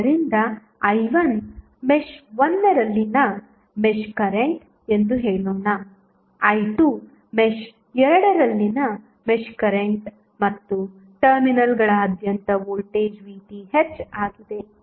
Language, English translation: Kannada, So, let us say I1 is the mesh current in mesh 1, I2 is the mesh current in mesh 2 and voltage across terminals AB is Vth